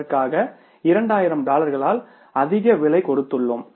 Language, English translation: Tamil, We have paid some higher price for that by $2,000 we have paid extra